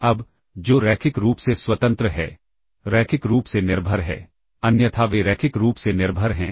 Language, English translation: Hindi, Now, what is linearly independent, linearly dependent, else they are linearly dependent